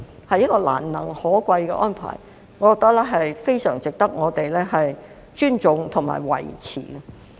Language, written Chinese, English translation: Cantonese, 這是一項難能可貴的安排，我覺得非常值得我們尊重和維持。, It is a commendable arrangement which I think is very much worthy of respect and support